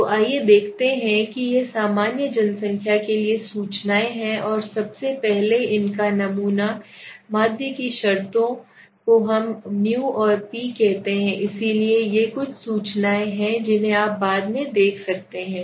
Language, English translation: Hindi, So let us see this are the notations for usual population and sample first of all so in populating in terms of mean we say p p so these are some of the notations which you can later on go through it